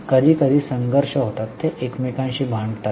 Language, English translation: Marathi, Sometimes there are conflicts, they fight with each other